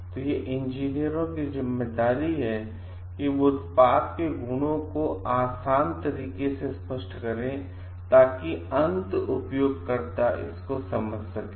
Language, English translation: Hindi, So, it is the responsibility of the engineers to explain the qualities of the product in a very easy way to the end users so that they can understand it